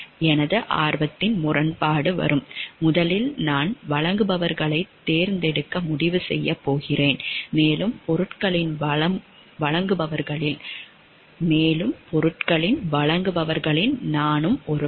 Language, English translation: Tamil, My conflict of interest will coming, first direct I am going to decide to select the suppliers, and also I am one of the suppliers for the goods